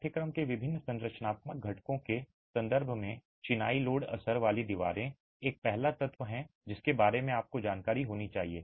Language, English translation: Hindi, In terms of different structural components, of course masonry load bearing walls is the first element that you should be aware of